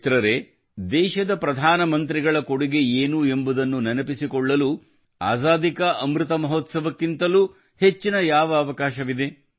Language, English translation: Kannada, Friends, what can be a better time to remember the contribution of the Prime Ministers of the country than the Azadi ka Amrit Mahotsav